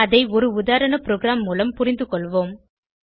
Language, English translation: Tamil, Let us understand the same using a sample program